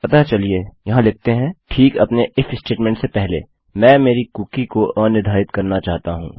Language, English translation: Hindi, So lets say over here just before our if statement, I wish to unset my cookie